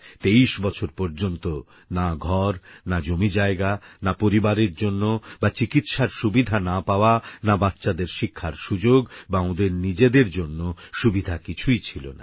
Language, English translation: Bengali, For 23 years no home, no land, no medical treatment for their families, no education facilities for their kids